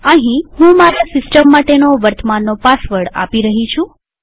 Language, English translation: Gujarati, Here I would be typing my systems current password